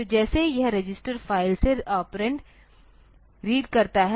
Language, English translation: Hindi, So, it has to read operands from the register file like